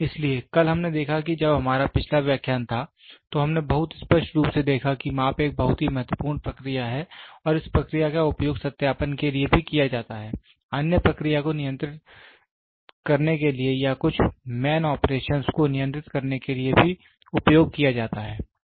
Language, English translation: Hindi, So, yesterday we saw when we had previous lecture, we saw very clearly that measurement is a very important process and this process is also used majorly one for validation, other also to control the process or control some man operations